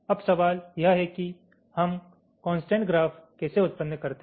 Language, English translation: Hindi, now the question is: how do we generate the constraint graph